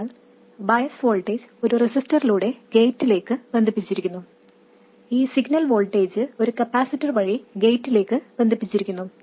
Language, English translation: Malayalam, So the bias voltage is connected to the gate through a resistor and the signal voltage is connected to the gate through a capacitor